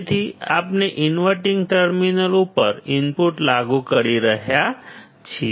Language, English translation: Gujarati, So, we are applying the input to the inverting terminal